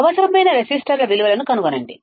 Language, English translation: Telugu, Find the values of resistors required